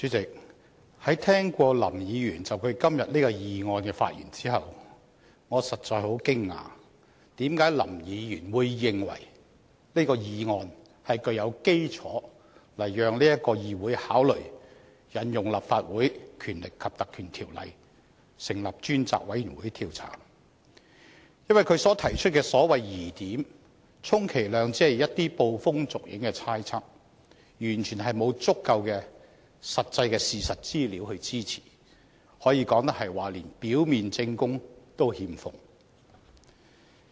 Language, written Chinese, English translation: Cantonese, 代理主席，在聽過林議員就今天這項議案的發言後，我實在感到很驚訝，為何林議員會認為這項議案是具有基礎來讓議會考慮引用《立法會條例》成立專責委員會調查，因為他所提出的所謂疑點，充其量只是一些捕風捉影的猜測，完全沒有足夠的、實際的事實資料支持，可以說得上是連表面證供也欠奉。, Deputy President I am really very surprised after listening to Mr LAMs speech on this motion today . How can Mr LAM think that what is said in his motion can be regarded as grounds for asking this Council to consider the invocation of the Legislative Council Ordinance to set up a select committee for the purpose of inquiry? . The doubts he has raised are at best pure speculations only